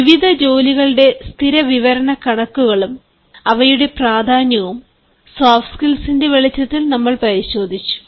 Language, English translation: Malayalam, we also looked at the statistics of various jobs and their importance in terms or in the light of soft skills